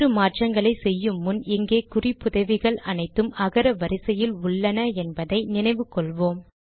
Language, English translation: Tamil, Before we make changes, let us recall that the references here are all in alphabetical order For example, B